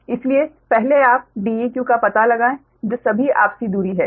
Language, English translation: Hindi, therefore, first you find out d, e, q, that is all the mutual distances